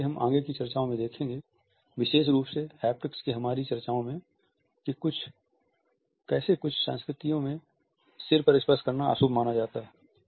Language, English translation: Hindi, As we shall see in our further discussions particularly our discussions of haptics, we would look at how in certain cultures touching over head is considered to be inauspicious